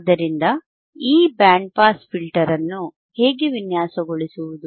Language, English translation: Kannada, So, how to design this band pass filter